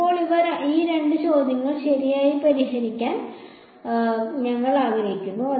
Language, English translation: Malayalam, Now, we want to solve these two questions right